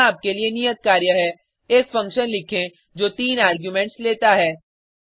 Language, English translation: Hindi, Here is assignment for you Write a function which takes 3 arguments